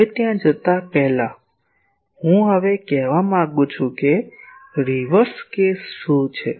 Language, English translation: Gujarati, Now; before going there; I now want to say that what is the reverse case